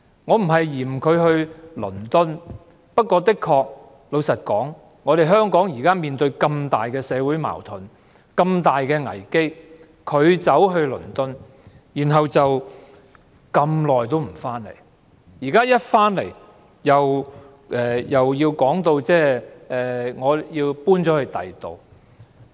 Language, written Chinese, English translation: Cantonese, 我不是不滿她前往倫敦，但香港現時面對這麼重大的社會矛盾及危機，她卻在倫敦逗留這麼長時間，回港後不久又表示要搬遷。, I am not against her going to London but presently Hong Kong is facing serious social conflicts and crises yet she stayed in London for such a long time and soon after her return she moved out of her official residence